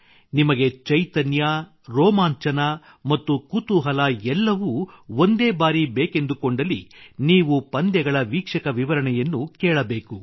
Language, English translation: Kannada, If you want energy, excitement, suspense all at once, then you should listen to the sports commentaries